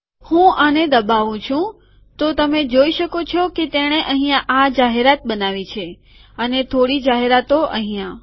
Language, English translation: Gujarati, Let me go click this, so you can see that it has created this banner here and some banner here